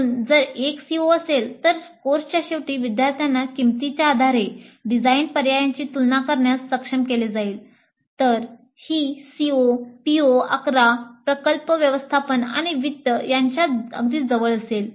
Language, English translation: Marathi, So if one of the COs is at the end of the course students will be able to compare design alternatives based on cost, then this COE is quite close to PO 11, project management and finance